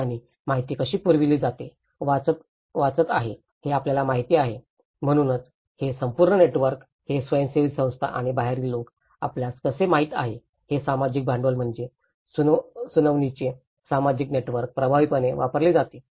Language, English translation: Marathi, And how the information is passed on, reading you know, so this whole networks how these NGOs and outsiders you know how, this social capital is social network of hearing is effectively used